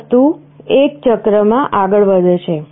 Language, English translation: Gujarati, This thing goes on in a cycle